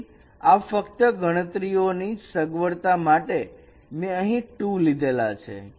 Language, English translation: Gujarati, So it is just for the convenience of computations I have taken this two